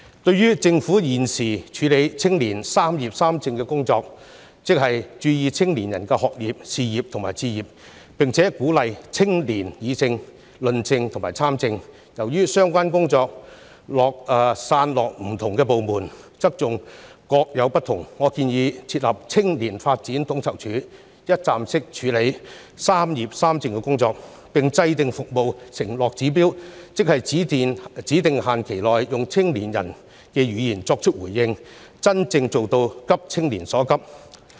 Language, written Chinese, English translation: Cantonese, 對於政府現時處理青年"三業三政"的工作，即關注青年人的學業、事業及置業，並鼓勵青年議政、論政及參政，由於相關工作散落於不同部門，側重點各有不同，我建議設立"青年發展統籌處"，一站式處理"三業三政"的工作，並制訂服務承諾指標，即在指定限期內，用青年人的語言作出回應，真正做到急青年所急。, As the current work of the Government related to addressing young peoples concerns about education career pursuit and home ownership and encouraging their participation in politics as well as public policy discussion and debate are separately handled by different government departments with different priorities I propose to establish a Youth Development Coordination Unit for one - stop processing of the work related to addressing young peoples concerns about education career pursuit and home ownership; encouraging their participation in politics as well as public policy discussion and debate and laying down performance pledges and indicators to respond to the concerns in the language of young people within a specified time limit so as to truly meet the urgent needs of young people